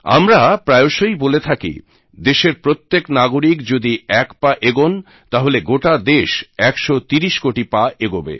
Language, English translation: Bengali, We often say that when every citizen of the country takes a step ahead, our nation moves 130 crore steps forward